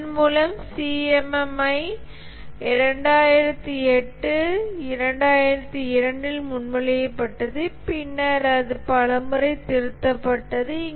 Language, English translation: Tamil, And with this, the CMMI was proposed in 2002, and later it has been revised several times